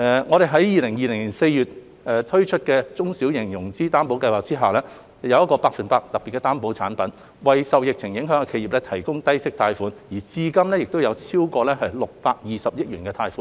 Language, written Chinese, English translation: Cantonese, 我們於2020年4月在"中小企融資擔保計劃"下，推出百分百特別擔保產品，為受疫情影響的企業提供低息貸款，至今已批出超過620億元貸款。, In April 2020 we launched the Special 100 % Guarantee Product under the SME Financing Guarantee Scheme to provide low - interest loans for enterprises affected by the epidemic with over 62 billion of loans approved so far